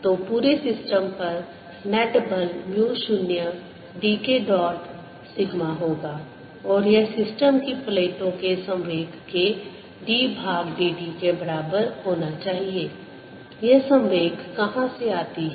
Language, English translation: Hindi, so the net force on the whole system is going to be mu zero d k dot sigma and this should be equal to d by d t of the momentum of the plates of the system